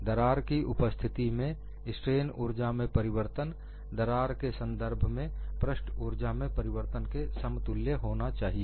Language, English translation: Hindi, The change of strain energy in the presence of a crack should be equal to change of surface energy with respect to the crack